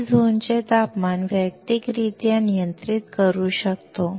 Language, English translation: Marathi, We can control the zone temperature individually